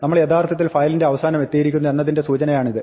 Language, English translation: Malayalam, This is the indication that we have actually reached the end of the file